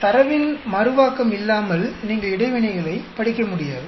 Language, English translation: Tamil, Without replication of data, you will not be able to study interactions